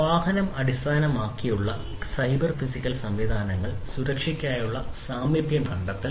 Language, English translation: Malayalam, Vehicle based transportation cyber physical systems where proximity detection for safety you know